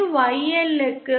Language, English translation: Tamil, This corresponds to YL equal to